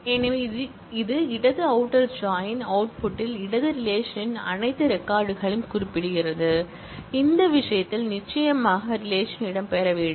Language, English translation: Tamil, So, left outer join specifies that in the output all records of the left relation, in this case the course relation must feature